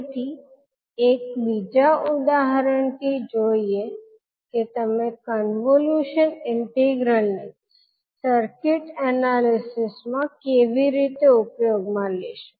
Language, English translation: Gujarati, Now the next question would be how you will utilize the convolution integral in circuit analysis